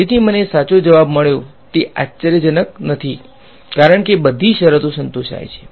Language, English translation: Gujarati, So, this is no surprise I got the correct answer because, all the conditions are satisfied